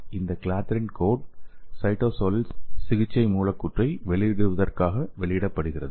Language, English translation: Tamil, So this clathrin coat is shed off in the cytosol to release the therapeutic molecule